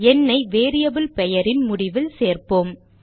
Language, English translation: Tamil, Now let us add the number at the end of the variable name